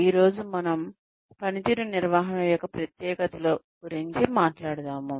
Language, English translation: Telugu, Today, we will talk about, the specifics of performance management